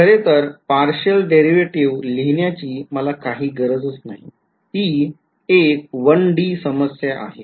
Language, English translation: Marathi, In fact, this is there is no need for me to write partial derivates it is 1 D problem